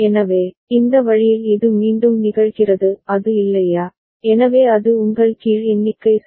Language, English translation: Tamil, So, this way it repeats is not it, so that is your down count ok